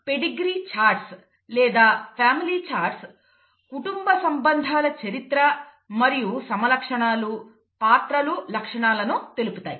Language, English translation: Telugu, Pedigree charts or family charts show the family relationships over history and phenotypes characters, characteristics